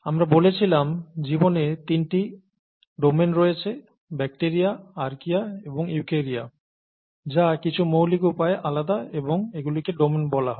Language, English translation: Bengali, Life, we said had three domains; bacteria, archaea and eukarya, which are different in some fundamental ways, and these are called domains